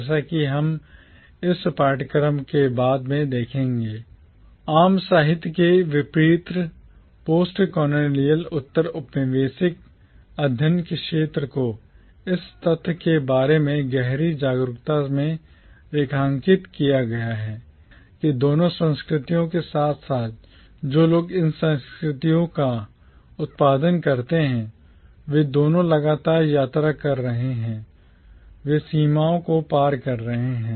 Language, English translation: Hindi, As we will see later in this course, unlike commonwealth literature, the field of postcolonial studies is underlined by a keen awareness of the fact that both cultures as well as people who produce these cultures, both of them are incessantly travelling, they are crossing borders, they are intermixing with one another and they are not fixed within national boundaries